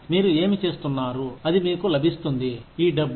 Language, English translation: Telugu, What you are doing, that should get you, this money